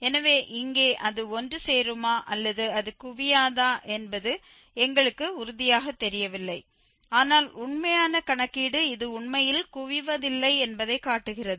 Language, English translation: Tamil, So, here we were not sure actually whether it will converge or it will not converge but actual computation shows that it actually does not converge